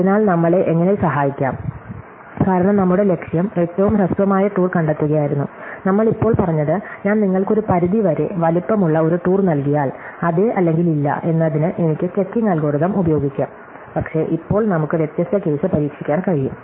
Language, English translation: Malayalam, So, so how does this help us, because our goal was to find the shortest tour, what we have said now is that if I give you an upper bound size a tour, I can use checking algorithm for yes or no, but now we can try different case